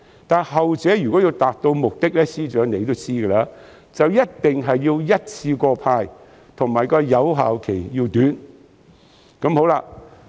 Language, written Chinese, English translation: Cantonese, 司長，後者要達到目的，你也知道一定要一次過派發，而且有效期要短。, FS in order for the latter to achieve the intended purpose you also know that the best way is to issue the vouchers in one go . Also the validity period must be short